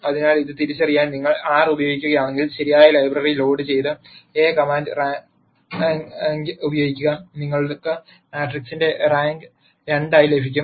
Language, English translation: Malayalam, So, if you were to use R to identify this, simply load the correct library and then use the command rank of A and you will get the rank of the matrix to be 2